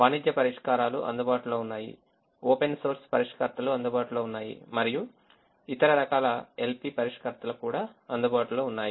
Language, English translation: Telugu, commercial solvers are available, open source solvers are available and other forms of l p solvers are also available